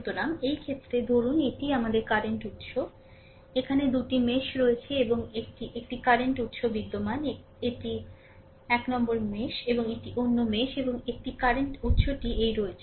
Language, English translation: Bengali, So, in this case, suppose this is your this say current source, there are 2 mesh and 1 one current source is exist, this is 1 mesh and this is another mesh and 1 current source is simply exist in this